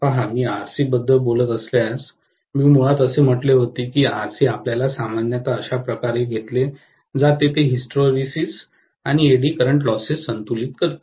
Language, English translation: Marathi, See, if I am talking about Rc, I said basically that Rc is you know taken to be generally in such a way that it balances whatever is the hysteresis and eddy current loss